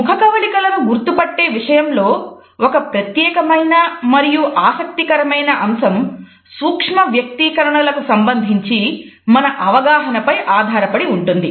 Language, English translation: Telugu, A particular interesting aspect of the recognition of facial expressions is based on our understanding of what is known as micro expressions